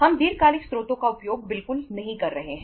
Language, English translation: Hindi, We are not utilizing the long term sources at all